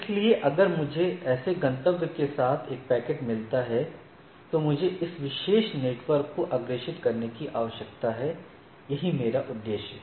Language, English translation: Hindi, So, if I get a get a packet with so, such destination, then I need to forward to this particular network; that is my objective